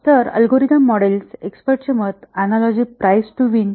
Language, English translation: Marathi, So, what about algorithm models, expert opinion, analogy, price to win